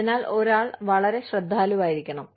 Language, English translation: Malayalam, So, one has to be, very careful